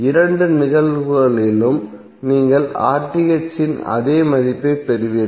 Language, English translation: Tamil, In both of the cases you will get the same value of RTh